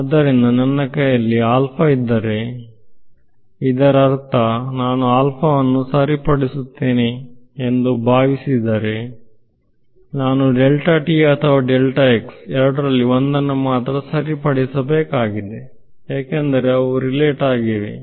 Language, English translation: Kannada, So, as a as a hint if I have alpha in my hand; that means, if supposing I fix alpha then I only need to fix one of the two either delta t or delta x; because they are related